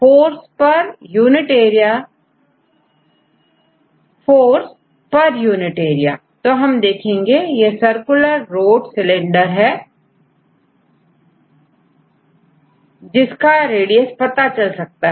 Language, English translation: Hindi, Force per unit area because this we know this is circular rod cylinder right you know the radius